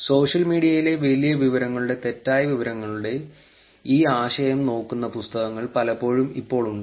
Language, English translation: Malayalam, There are even books now, which actually look at this concept of misinformation on social media, big data